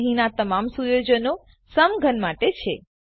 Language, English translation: Gujarati, So all the settings here are for the cube